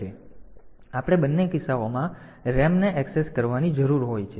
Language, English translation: Gujarati, So, we need to access RAM in both the cases